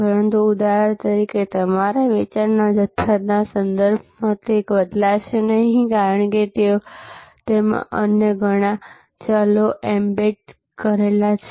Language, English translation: Gujarati, But, it will not vary with respect to your volume of sales for example, because that has many other variables embedded in that